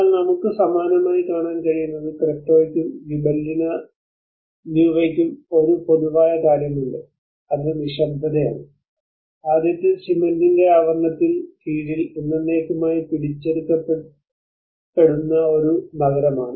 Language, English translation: Malayalam, But what we can see similar is both the Cretto and Gibellina Nuova has one common thing which is silence, the first is a city forever captured under a shroud of cement